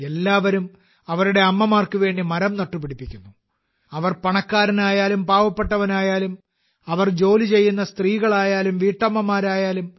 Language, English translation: Malayalam, Everyone is planting trees for one’s mother – whether one is rich or poor, whether one is a working woman or a homemaker